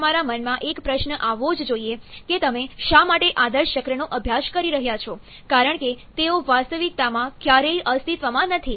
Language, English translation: Gujarati, Now, your question that must be coming to your mind is why you are studying the ideal cycles, as they never exist in behaviour, sorry, as they never exist in reality